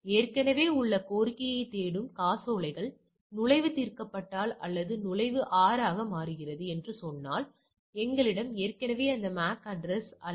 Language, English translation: Tamil, Checks that cache for an existing request, if the entry is resolved that is or sometimes say that is the entry becomes R, we have already have this MAC address